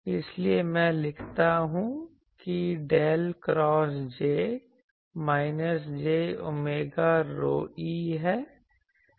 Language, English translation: Hindi, So, I write what is del cross J is minus j omega rho e